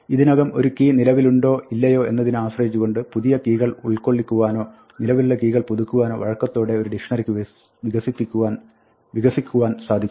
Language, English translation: Malayalam, In a dictionary, it flexibly expands to accommodate new keys or updates a key depending on whether the key already exists or not